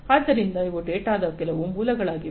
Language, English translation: Kannada, So, these are some of the sources of data